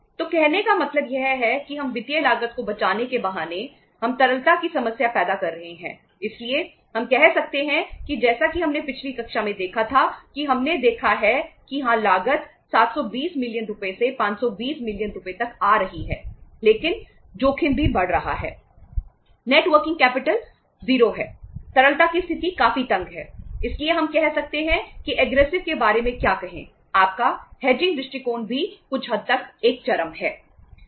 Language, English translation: Hindi, So it means on the on the say uh say pretext of saving the financial cost we are creating the liquidity problem so we can say that as we saw in the previous class that we have see that yes cost is coming down to 580 million rupees from 720 million rupees but the risk is also going up